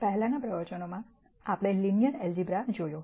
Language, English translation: Gujarati, In the previous lectures we looked at linear algebra